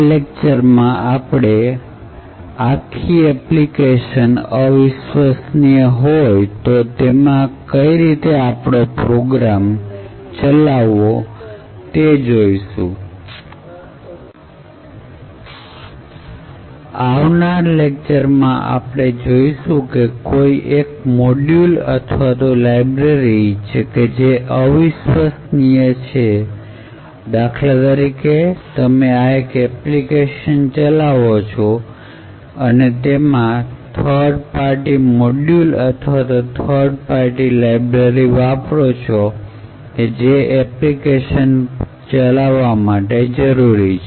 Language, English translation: Gujarati, While this lecture looks at the entire application that is untrusted and how you would run an application which you do not trust in your system while a future lecture would look at modules and libraries which are untrusted, so for example let us say that you are running an application and you use a third party module or a third party library which is needed for that application to execute